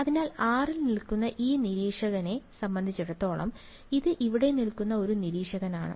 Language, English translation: Malayalam, So, with respect to this observer, who is standing at r right; this is an observer standing over here